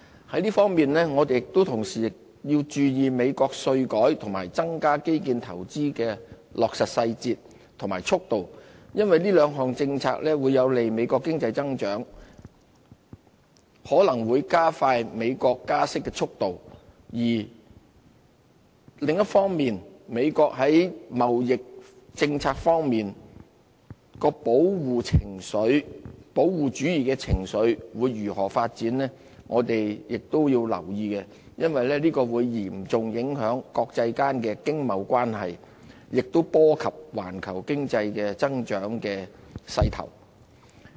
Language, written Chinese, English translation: Cantonese, 在這方面，我們同時亦要注意美國稅改和增加基建投資的落實細節和速度，因為這兩項政策會有利美國經濟增長，可能會加快美國加息的速度，另一方面，美國在貿易政策方面的保護主義情緒會如何發展，我們亦要留意，因為這會嚴重影響國際間經貿關係的影響，亦波及環球經濟增長的勢頭。, Meanwhile we have to keep abreast of the details and pace of the tax reform and the expansion of infrastructure investment in the United States as these two policies are conducive to domestic economic growth and may accelerate the pace in rate hikes in the United States . On the other hand we have to keep an eye on the development of trade protectionism in the United States as it will have great adverse impact on international economic and trade relations and threaten the growth of global economy